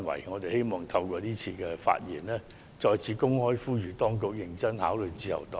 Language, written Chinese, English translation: Cantonese, 我們希望透過今次發言，再次公開呼籲當局認真考慮自由黨的建議。, With this speech we hope to openly appeal to the Government once again to give serious consideration to the Liberal Partys suggestion